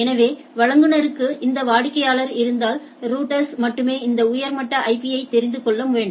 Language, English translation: Tamil, So, if the provider has these are the customers right routers only need to know this higher level IP only right